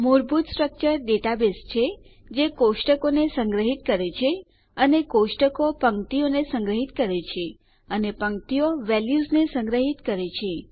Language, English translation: Gujarati, A basic structure is a database which stores tables and tables store rows and rows store values